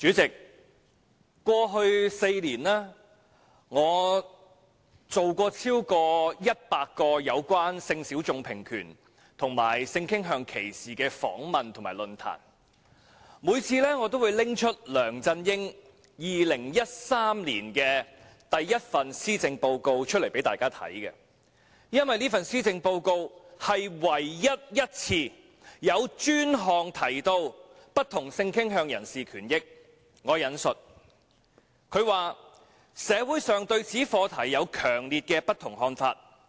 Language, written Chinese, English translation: Cantonese, 主席，過去4年，我曾進行超過100個有關性小眾平權及性傾向歧視的訪問和論壇，每次我也會拿出梁振英2013年首份施政報告給大家看，因為這份施政報告是唯一一份有專項提到不同性傾向人士權益："社會上對此課題有強烈的不同看法。, President in the last four years I have conducted over 100 interviews and forums in relation to equality for sexual minorities and sexual orientation discrimination . On each occasion I presented to the audience the first Policy Address LEUNG Chun - ying made in 2013 because this Policy Address is the only one with particular mention of the rights and benefits of people of different sexual orientation . I quote The [sic] society is deeply divided over this issue